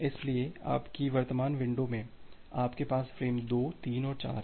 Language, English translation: Hindi, So, in your current window you had the frame 2, 3 and 4